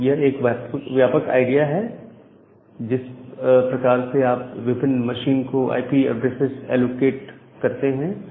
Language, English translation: Hindi, So, that is the broad idea about the way you give allocate IP addresses to different machines